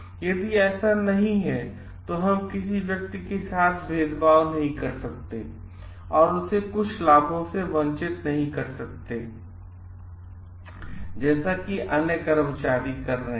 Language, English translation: Hindi, If it is not, then we cannot discriminate a person and like deprive him of certain benefits like which the other employees are having